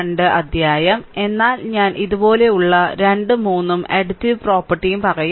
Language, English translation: Malayalam, 2, but I will say 2 3 like this right so, and additivity property